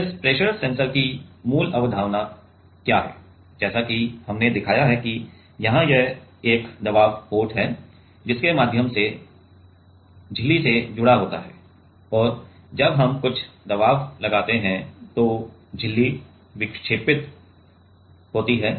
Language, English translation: Hindi, Now, what is the basic concept of this pressure sensor as we have shown that, there is a pressure port through which the which is connected to the membrane and as we apply some pressure the membrane deflects, right